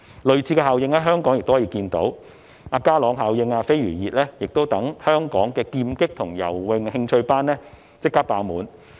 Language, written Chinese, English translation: Cantonese, 類似的效應亦可以在香港看到，就是"家朗效應"和"飛魚熱"令香港的劍擊和游泳興趣班立即爆滿。, Similar effects can also be observed in Hong Kong and that is the Ka - long effect and the Flying - fish craze that make interest classes in fencing and swimming full instantly